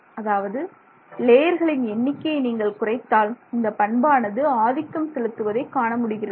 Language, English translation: Tamil, If they lower the number of layers then you see this behavior in a much more prominent manner